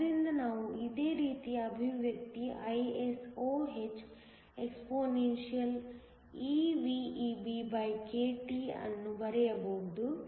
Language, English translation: Kannada, So, we can write a similar expression ISOhexpeVEBkT